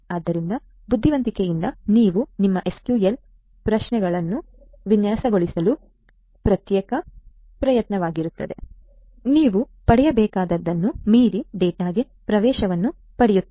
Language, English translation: Kannada, So, you know intelligently you try to design your you know your SQL queries in such a way that you get access to data beyond what you are supposed to get